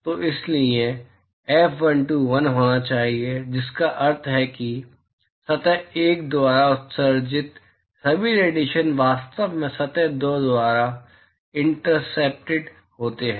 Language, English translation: Hindi, So, therefore, F12 should be 1, which means all the radiation emitted by surface one is actually intercepted by surface two